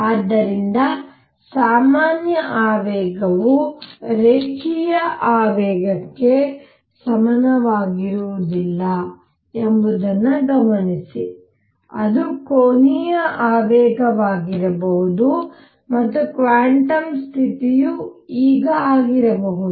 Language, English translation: Kannada, So, notice that generalized momentum is not necessarily same as linear momentum it could be angular momentum and the quantum condition now would be